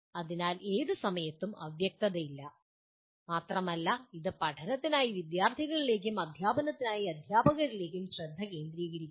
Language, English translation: Malayalam, So there is no ambiguity at any time and it provides both focus to students for learning and to teachers for teaching